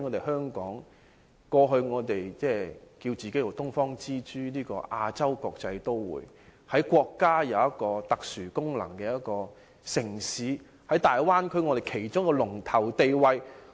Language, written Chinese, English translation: Cantonese, 香港過去自稱是"東方之珠"、亞洲國際都會，是具備國家特殊功能的城市，在大灣區佔一龍頭地位。, In the past Hong Kong called itself the Pearl of the Orient an international metropolis in Asia . It is a city with special functions to the country taking a leading position in the Bay Area